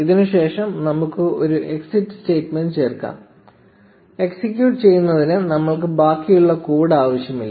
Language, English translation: Malayalam, And let us add an exit statement just after this; we do not need the rest of the code to execute